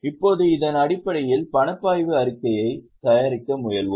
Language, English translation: Tamil, Now based on this we went for preparation of cash flow statement